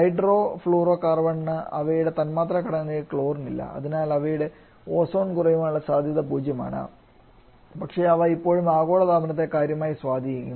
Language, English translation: Malayalam, Whereas hydrofluorocarbon does not have included in the molecular structure so there ozone depletion potential is zero, but they still can have significant amount of effect on the global warming